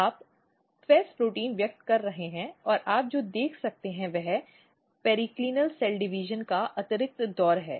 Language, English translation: Hindi, So, you are over expressing FEZ protein and what you can see there is additional round of periclinal cell division